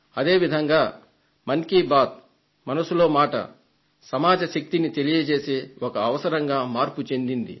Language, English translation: Telugu, In the same way "Mann Ki Baat" became a platform to express the power of society